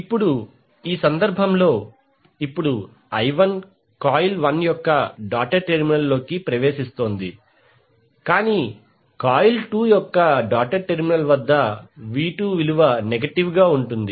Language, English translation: Telugu, Now in this case now I1 is entering the doted terminal of coil 1 but the V2 is negative at the doted terminal of coil 2